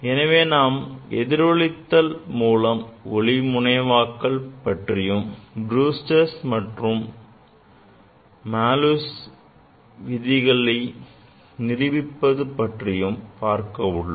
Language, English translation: Tamil, So, we will study the polarization of the light by reflection and will verify the Brewster s law and Malus law